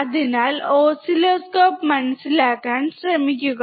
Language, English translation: Malayalam, So, see guys try to understand oscilloscope, right